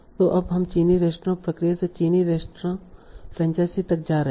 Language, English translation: Hindi, We talked about in very briefly about Chinese restaurant process and Chinese restaurant franchise